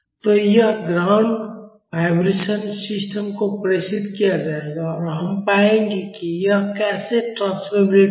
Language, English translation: Hindi, So, this ground vibration will be transmitted to the system and we will find how that transmissibility is